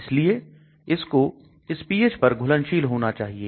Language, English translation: Hindi, So it has to be soluble at these pHs